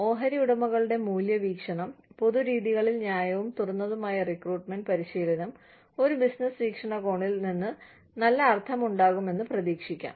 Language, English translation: Malayalam, Shareholder value perspective is, it might be expected that, fair and open recruitment training, in common practices, will make good sense, from a business point of view